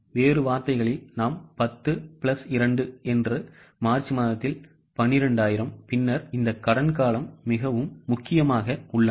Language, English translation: Tamil, In other words, we will receive 10 plus 2, that is 12,000 in the month of March